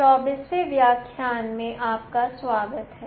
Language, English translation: Hindi, Welcome to lecture 24